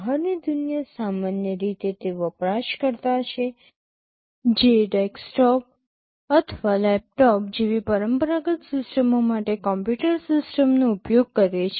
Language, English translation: Gujarati, The outside world is typically the user who is using a computer system for conventional systems like a desktop or a laptop